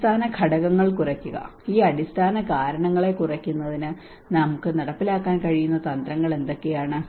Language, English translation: Malayalam, Reduce the underlying factors; what are the strategies that we can implement to reduce these underlying root causes